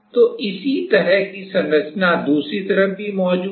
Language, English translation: Hindi, So, similar kind of structure is present on the other side also